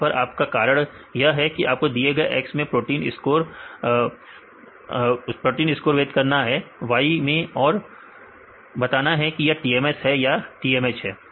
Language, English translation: Hindi, Your task is you have to discriminate these type of proteins in X right into y whether it is TMS or TMH right